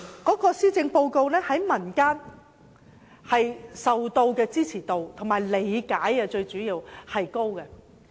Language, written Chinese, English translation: Cantonese, 看來施政報告在民間的支持度及理解度甚高。, It seems that the Policy Address is highly supported and well understood by members of the public